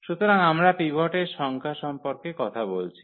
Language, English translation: Bengali, So, we are talking about the number of pivots